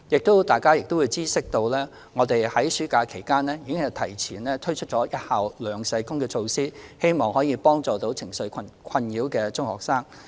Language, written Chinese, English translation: Cantonese, 相信大家也知悉，我們已在暑假期間提前推行一校兩社工措施，希望能協助情緒受困擾的中學生。, As Members may be aware we have advanced the implementation of the measure of two school social workers for each secondary school during the summer holidays with a view to assisting secondary school students who are emotionally disturbed